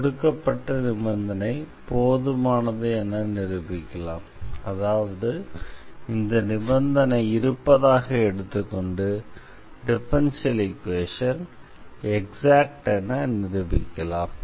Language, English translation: Tamil, This is the given condition this is what we have assumed that this condition holds and we will show that the equation is an exact differential equation